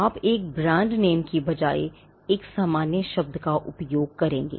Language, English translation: Hindi, You would use a generic word instead of a brand name